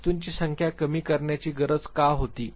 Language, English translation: Marathi, Why was there a need for reduction in the number of items